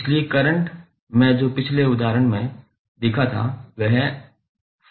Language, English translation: Hindi, So, current i which we saw in the previous example was 5 cos 60 pi t